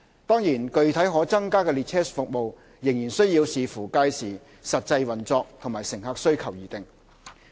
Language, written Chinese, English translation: Cantonese, 當然，具體可增加的列車服務，仍須視乎屆時實際運作及乘客需求而定。, That said the actual enhancement in train service will depend on the then operation and passenger demand